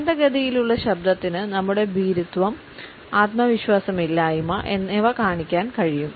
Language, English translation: Malayalam, A slow voice can show our timidity our diffidence